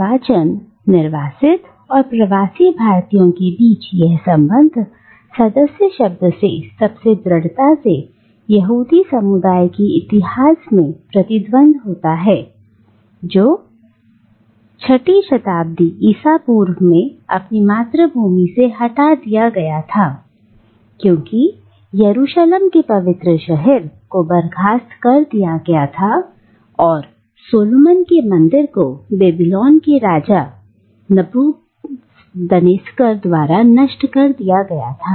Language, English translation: Hindi, And this connection between exile and diaspora most strongly resonates in the history of the Jewish community which was banished from its homeland in the 6th century BCE after the holy city of Jerusalem was sacked and the temple of Solomon was destroyed by the Babylonian King Nebuchadnezzar